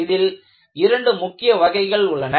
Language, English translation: Tamil, So, in this, you have two main categories